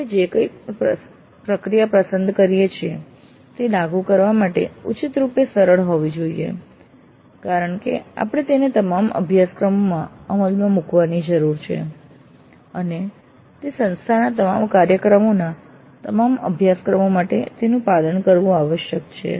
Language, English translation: Gujarati, Whatever process we select that must be reasonably simple to implement because we need to implement it across all the courses and it must be followed for all the courses of all programs of an institution